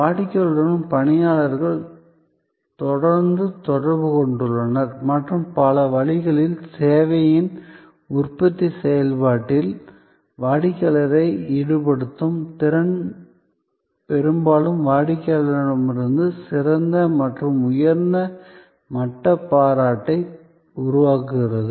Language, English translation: Tamil, And the personnel are in constant interaction with the customer and in many ways, their ability to involve the customer in that production process of the service often creates a much better and higher level of appreciation from the customer